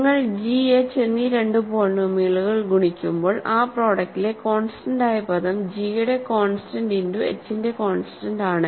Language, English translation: Malayalam, When you multiply two polynomials g and h in the product the constant term is just the constant term of g times constant term of h